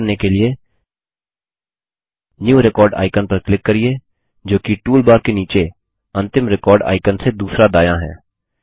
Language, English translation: Hindi, To do this, click on the New Record icon, that is second right of the Last record icon in the bottom toolbar